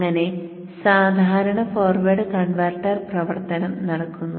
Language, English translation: Malayalam, Normal forward converter operation happens